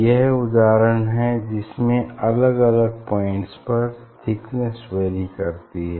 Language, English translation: Hindi, this is the example of the here now thickness is varying at different point you know